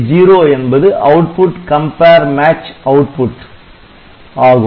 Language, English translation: Tamil, this is a output compare match output